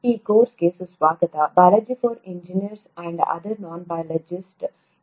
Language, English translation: Kannada, Welcome to this course “Biology for Engineers and other Non Biologists”